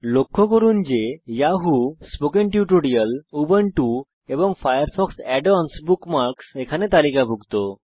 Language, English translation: Bengali, Notice that the Yahoo, Spoken Tutorial, Ubuntu and FireFox Add ons bookmarks are listed here